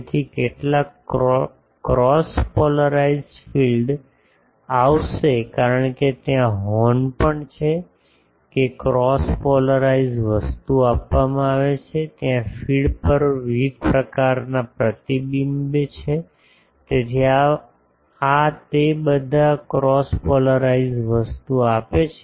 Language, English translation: Gujarati, So, some cross polarised field will come because there is the horn is also giving that cross polarised thing then there are scatterings there are various reflections on the feed etc, so, all that gives this cross polarised thing